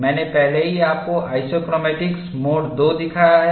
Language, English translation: Hindi, I have already shown you mode 2 isochromatics, a similar to mode 2 isochromatics